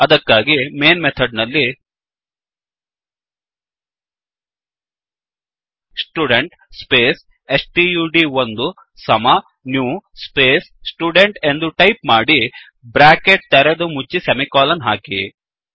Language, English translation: Kannada, For that, inside the main method, type: Student space stud1 equal to new space Student opening and closing brackets semicolon